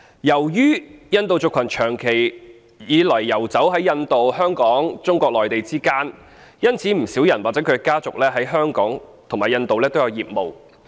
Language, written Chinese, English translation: Cantonese, 由於印度族群長期以來遊走於印度、香港及中國內地之間，因此不少人或其家族在香港及印度均有業務。, With the Indian communitys long - standing history of roaming among India Hong Kong and Mainland China many individuals and families in the community have businesses both in Hong Kong and India